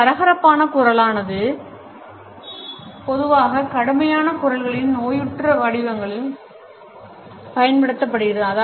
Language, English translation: Tamil, Hoarse voice is normally applied to pathological forms of rough voice